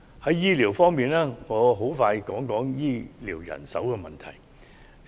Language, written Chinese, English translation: Cantonese, 在醫療方面，我想略談醫療人手問題。, With regard to health care services I wish to say a few words on the issue of health care manpower